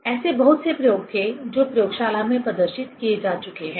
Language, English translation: Hindi, There were many experiments which have been demonstrated in the laboratory